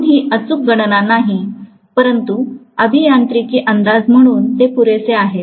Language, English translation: Marathi, So it is not an exact calculation but at least it is good enough as an engineering approximation